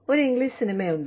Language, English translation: Malayalam, There is an English movie